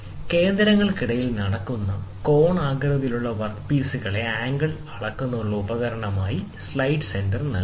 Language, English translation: Malayalam, A sine center provides a means of measuring angle of conical work pieces that are held between centers